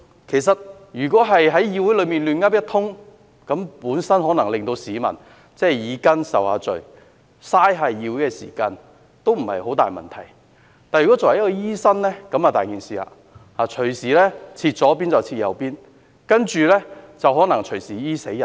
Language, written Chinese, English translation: Cantonese, 其實，如果在議會內"亂噏一通"，可能只是令市民耳根受罪，浪費議會時間，問題不大；但如果作為一位醫生，問題便嚴重，隨時"開錯刀"，然後隨時"醫死人"。, In fact when he talked nonsense in this Council the result might only be causing a nuisance to peoples ears and wasting the time of the Council and this is not a grave problem . But as a doctor this attitude can be a serious problem as he may do the surgery on the wrong part of the patients body and his negligence may lead to the death of his patient